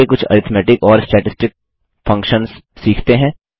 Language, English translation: Hindi, Next, lets learn a few arithmetic and statistic functions